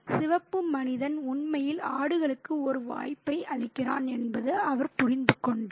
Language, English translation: Tamil, He understood that the red man was actually making an offer for the goats